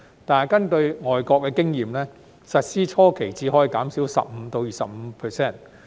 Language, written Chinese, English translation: Cantonese, 但根據外國經驗，實施初期只可以減少 15% 至 25%。, However according to overseas experience the rate can only be reduced by 15 % to 25 % during the early stage of implementation